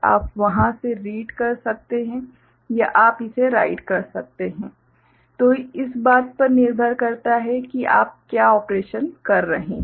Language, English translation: Hindi, You can read from there or you can write it, depending on what operation you are doing